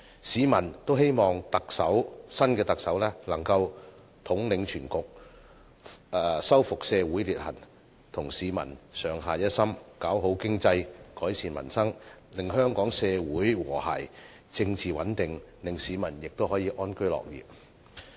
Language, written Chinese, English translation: Cantonese, 市民都希望新特首能夠統領全局、修復社會裂痕，與市民上下一心，搞好經濟，改善民生，令香港社會和諧，政治穩定，市民得以安居樂業。, People hope that the new Chief Executive can be a leader with the ability to take the broad picture in view repair our social dissension and stand united with the people to develop the economy and improve peoples livelihood with a view to bringing forth social harmony and political stability in Hong Kong and in turn enabling people to live and work in contentment